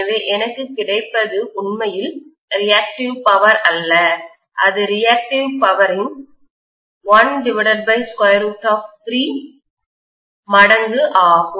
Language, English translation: Tamil, So what I get is not really the reactive power, it is 1 by root 3 times the reactive power